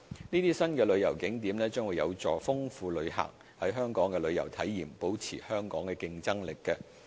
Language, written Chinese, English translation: Cantonese, 這些新旅遊景點將有助豐富旅客在港的旅遊體驗，保持香港的競爭力。, These new tourist attractions will enrich visitors experience in Hong Kong and maintain Hong Kongs competitiveness